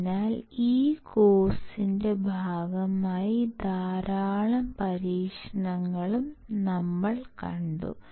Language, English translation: Malayalam, So, we will also see lot of experiments as a part of this course